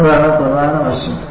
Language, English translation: Malayalam, That is the key aspect